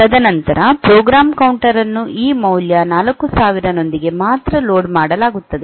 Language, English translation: Kannada, And then only the program counter will be loaded with this value 4000